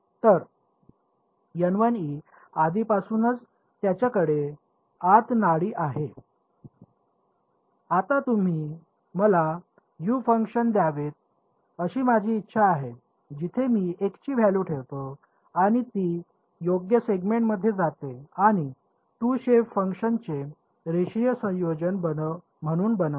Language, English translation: Marathi, So, N 1’s are already they already have the pulse inside it, now I want you to give me a function U; where I put in the value of x and it goes to the correct segment and constructs it as a linear combination of 2 shape functions